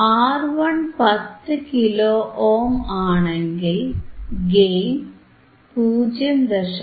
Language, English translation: Malayalam, 1 R 1 is 10 kilo ohm, gain is 0